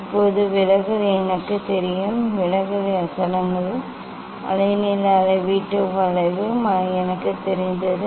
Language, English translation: Tamil, Now, I know the deviation now, I had the deviation verses wavelength calibration curve